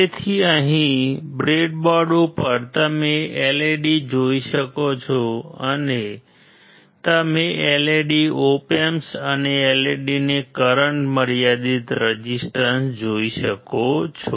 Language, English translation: Gujarati, So, here on the breadboard you can see a LED you can see a LED, op amp and current limiting resistor to the LED